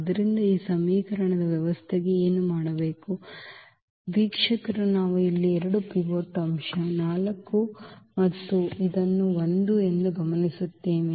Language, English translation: Kannada, So, for this system of equation what do observer what do we observe here that we have the 2 pivots element here 4 and also this 1